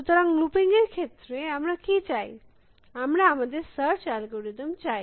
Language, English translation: Bengali, So, in terms of looping, what do we want, we want our search algorithm